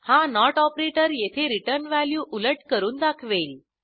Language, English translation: Marathi, This NOT operator here inverses the returned value